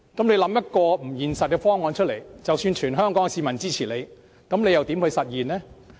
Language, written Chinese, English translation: Cantonese, 你想一個不現實的方案，即使得到全港市民支持，又要如何實現？, Even if everyone in Hong Kong supports this proposal how can the opposition camp realize such an unrealistic scheme?